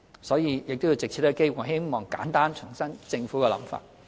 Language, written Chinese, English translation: Cantonese, 所以，藉此機會，我希望簡單重申政府的想法。, I therefore would like to take this opportunity to reiterate the Governments position